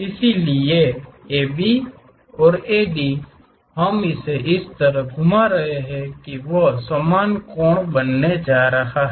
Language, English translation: Hindi, So, AB and AD we are rotating in such a way that they are going to make equal angles